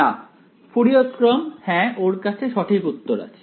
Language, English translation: Bengali, No, Fourier series yeah he has write answer